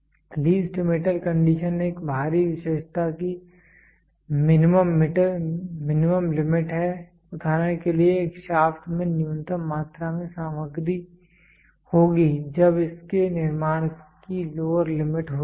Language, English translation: Hindi, Least metal condition is the minimum limit of an external feature for example a shaft will contain a minimum amount of material when the manufacture to it is lower limit